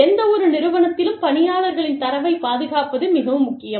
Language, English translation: Tamil, It is very important to protect, the data of the employees, in any organization